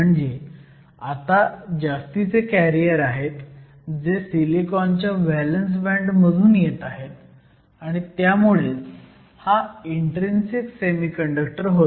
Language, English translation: Marathi, So, you have extra carriers that are now coming from the valence band of the silicon, and this makes it an intrinsic semiconductor